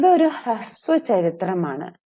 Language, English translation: Malayalam, Now this is a brief history